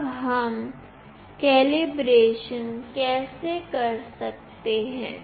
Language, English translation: Hindi, Now, how do we do calibration